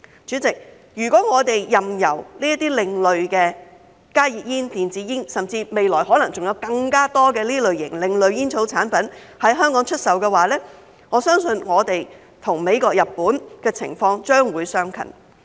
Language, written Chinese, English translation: Cantonese, 主席，如果我們任由這些另類的加熱煙、電子煙，甚至未來可能還有更多另類煙草產品在香港出售，我相信本港與美國和日本的情況將會相近。, President if we allow such alternative smoking products ASPs as HTPs and e - cigarettes and even the additional ASPs which may emerge in the future to be sold in Hong Kong I believe the situation in Hong Kong will be similar to that in the United States and Japan